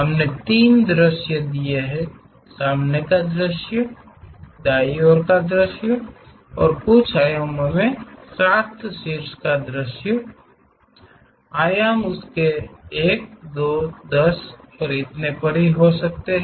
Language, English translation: Hindi, We have given three views, the front view, the right side view and the top view with certain dimensions these dimensions can be 1, 2, 10 and so on